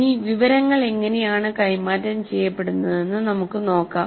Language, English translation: Malayalam, Now we look at it specifically how the information is getting transferred